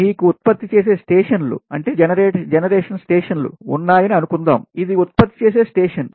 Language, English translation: Telugu, and suppose you have a generating stations, this is generating stations